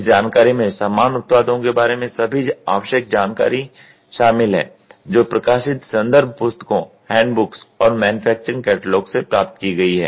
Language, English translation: Hindi, This information includes all the necessary information about similar products obtained from published reference books, hand books and manufacturing catalogues